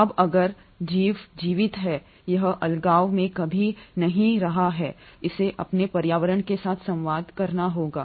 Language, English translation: Hindi, Now if an organism is living, itÕs never living in isolation, it has to communicate with its environment